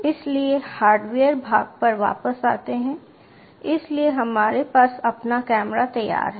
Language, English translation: Hindi, so, coming back to the hardware part, so we have have our camera ready